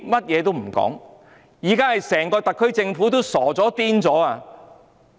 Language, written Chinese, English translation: Cantonese, 現在整個特區政府都傻了、瘋了。, Now the whole SAR Government has been stunned having gone mad